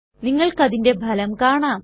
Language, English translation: Malayalam, See the result for yourself